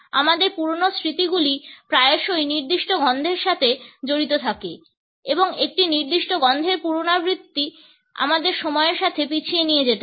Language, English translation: Bengali, Our old memories often are associated with certain smells and the repetition of a particular smell may carry us backward in time